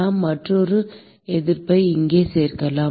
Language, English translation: Tamil, We could include another resistance here